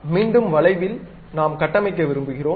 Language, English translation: Tamil, Again on arc we would like to construct